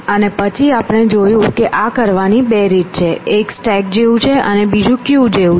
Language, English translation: Gujarati, And then we saw that there are two ways of doing this; one is as the stack, and the other as a queue